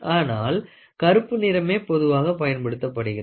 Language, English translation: Tamil, So, black is very common